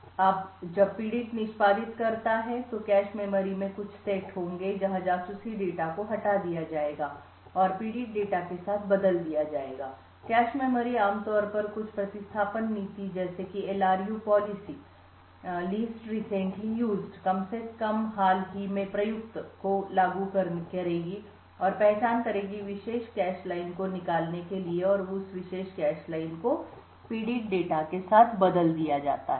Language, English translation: Hindi, Now when the victim executes there will be certain sets in the cache memory, where the spy data would be evicted and replaced with the victim data, cache memory would typically implement some replacement policy such as the LRU policy and identify a particular cache line to evict and that particular cache line is replaced with the victim data